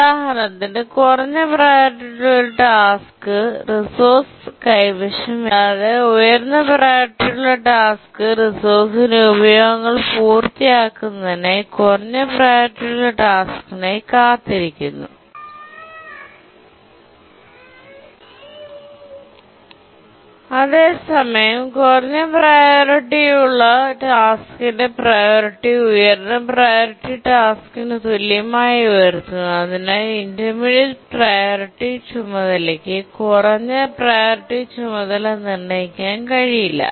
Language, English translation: Malayalam, So, this is an example here, low priority task holding the resource, high priority task waiting for the low priority task to complete uses of the resource and the priority of the priority task is raised to be equal to the high priority task so that the intermediate priority task cannot preempt the low priority task and this is called as the priority inheritance scheme